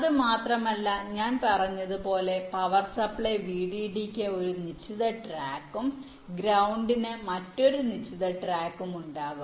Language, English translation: Malayalam, not only that, as i said, there will be a one fixed track for the power supply, vdd, and another fixed track for ground